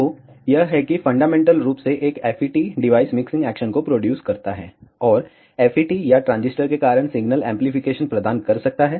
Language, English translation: Hindi, So, this is how fundamentally a FET device produces mixing action, and because of FET or a transistor can provide signal amplification